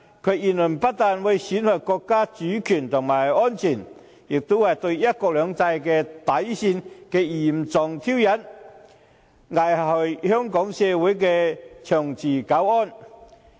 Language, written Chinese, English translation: Cantonese, 其言論不單會損害國家主權及安全，亦是對"一國兩制"底線的嚴重挑釁，危害香港社會的長治久安。, His remark not only jeopardizes national sovereignty and security but also serves as a severe provocation to the bottom line of one country two systems putting the long - term peace and stability of Hong Kong at risk